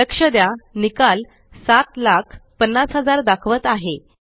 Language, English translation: Marathi, Notice the result shows 7,50,000